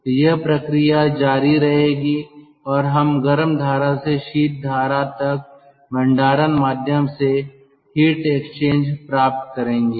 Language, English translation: Hindi, so this process will continue and we will get heat exchange from the hot stream to the cold stream via a storage medium